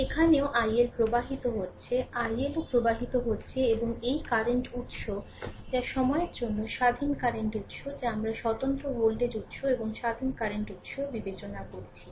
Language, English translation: Bengali, Here also i L is flowing here also i L is flowing, and this current source that is independent current source for the timing we have consider independent voltage source and independent current source